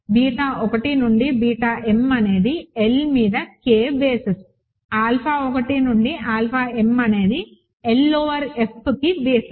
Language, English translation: Telugu, Beta 1 through beta m form a basis of K over L, alpha 1 through alpha m form a basis of L over F